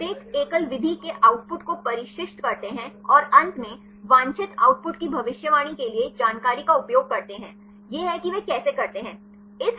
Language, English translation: Hindi, They train the output of the each single method and finally, use the information for predicting the desired output; this is how they do